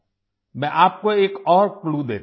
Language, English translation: Hindi, Let me give you another clue